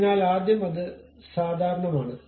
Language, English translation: Malayalam, So, first normal to that